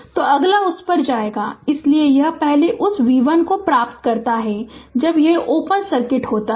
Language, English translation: Hindi, So, this is first you obtain that v 1 right when it is open circuit